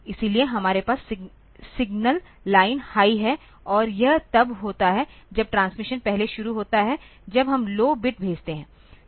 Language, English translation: Hindi, So, there is we have the signal line is high and that we have got when the transmission starts the first we send a low bit